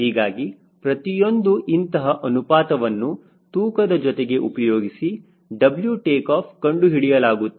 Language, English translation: Kannada, every such ratios with weight will be converting back into w takeoff